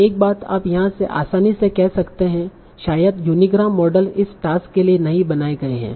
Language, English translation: Hindi, So one thing you can easily say from here, the unigram models are probably not built for this task